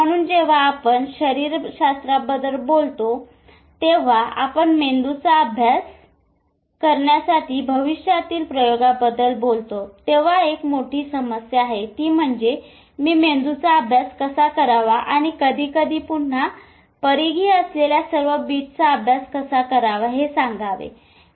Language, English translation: Marathi, So, when we talk about the physiology and when we talk about the future experiment to study brain, one big problem is although I told you how to study brain and all the, but that is all again peripheral at times